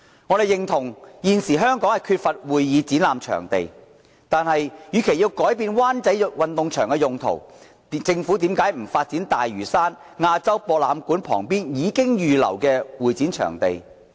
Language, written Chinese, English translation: Cantonese, 我們認同現時香港缺乏會議展覽場地，但政府與其改變灣仔運動場的用途，何不發展大嶼山亞洲博覽館旁邊已預留的會展場地？, We recognize a lack of convention and exhibition venues in Hong Kong but why does the Government not develop the site adjacent to the AsiaWorld - Expo on Lantau earmarked for this purpose instead of changing the use of the Sports Ground?